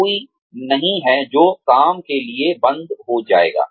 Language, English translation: Hindi, There is nobody, who, work will stop for